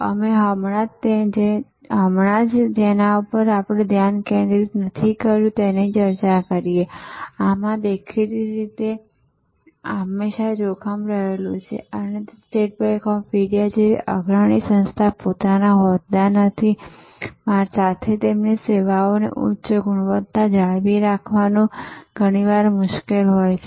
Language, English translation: Gujarati, Unfocused we just now discussed and in this; obviously, there is always a danger and it is often quit difficult to retain the preeminent position like State Bank of India yet maintain a high quality of service